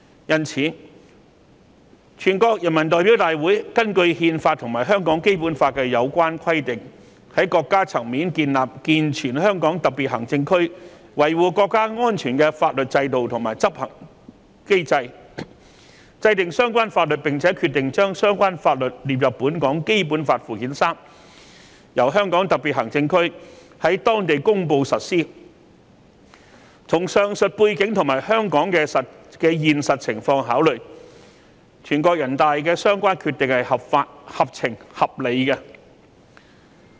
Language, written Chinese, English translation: Cantonese, 因此，全國人民代表大會根據憲法和香港《基本法》的有關規定，在國家層面建立健全香港特別行政區維護國家安全的法律制度和執行機制制訂相關法律，並且決定把相關法律列入本港《基本法》附件三，由香港特別行政區在當地公布實施，與上述背景和香港的現實情況考慮，全國人大的相關決定是合法、合情、合理的。, Thus considering the above mentioned background and the actual circumstances in Hong Kong the decision of NPC to enact a law at the national level to establish a sound legal system and enforcement mechanism to uphold national security in the entire HKSAR and include the law in Annex III of the Basic Law of Hong Kong to be promulgated and implemented in HKSAR is lawful fair and reasonable